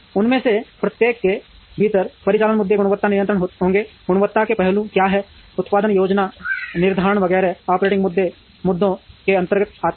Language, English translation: Hindi, Operating issues within each of them would be quality control, what are the quality aspects, production planning scheduling etcetera come under the operating issues